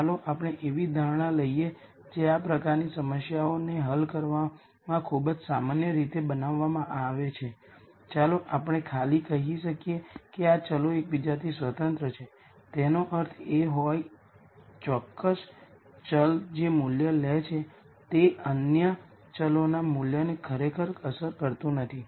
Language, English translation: Gujarati, Let us take an assumption which is very commonly made in solving these types of problems, we might simply say these variables are let us say independent of each other; that means, what value a particular variable takes does not really affect the value of other variables